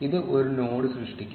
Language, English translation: Malayalam, This will create a node